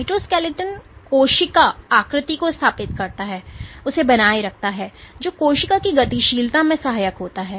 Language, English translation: Hindi, So, the cytoskeleton establishes and maintains the cell shape it aids in cell motility